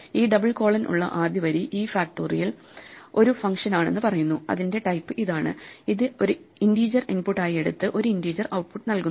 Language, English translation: Malayalam, So, the first line with this double colon says that factorial is a function and this is itÕs type, it takes an integer as input and produces an integer as output